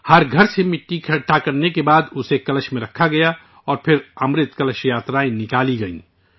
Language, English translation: Urdu, After collecting soil from every house, it was placed in a Kalash and then Amrit Kalash Yatras were organized